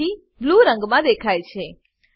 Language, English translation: Gujarati, So they appear in blue color